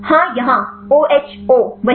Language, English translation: Hindi, Yes here; OHO the same